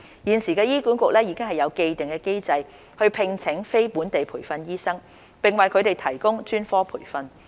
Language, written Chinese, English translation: Cantonese, 現時醫管局已有既定機制聘請非本地培訓醫生，並為他們提供專科培訓。, Currently HA has an established mechanism to employ NLTDs and provide them with specialist training